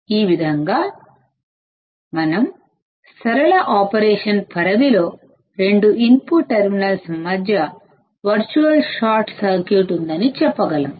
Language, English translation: Telugu, Thus we can say that under the linear range of operation, there is a virtual short circuit between the two input terminals